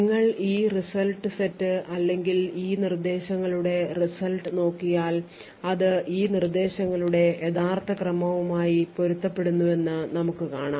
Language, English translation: Malayalam, So, you look at this set of results or the results of these instructions and what you notice is that the results correspond to the original ordering of these instructions